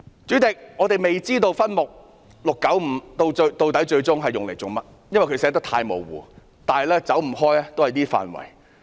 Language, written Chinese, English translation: Cantonese, 主席，我們未知道分目695的款項最終作甚麼用途，因為寫得太模糊，但也離不開這等範圍。, President as the description is too vague we do not know how the funding under subhead 695 will be used eventually but it will not go beyond that